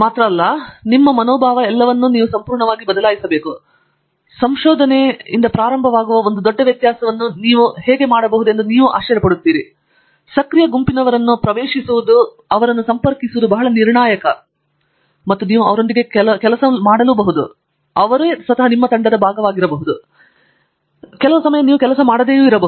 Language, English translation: Kannada, Just gives you the setting in the atmosphere and completely changes your attitude to everything and you will be surprised how that can make a big difference to starting out in research, going in to a active groupers, very crucial and that it is you might say it is, some of them you might work with and they might be part of a team, some of them you may not even work with